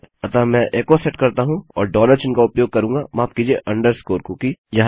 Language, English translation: Hindi, So what Ill do is Ill set echo and Ill use a dollar sign, sorry, underscore cookie